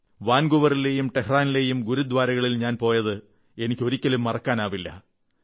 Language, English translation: Malayalam, I can never forget my visits to Gurudwaras in Vancouver and Tehran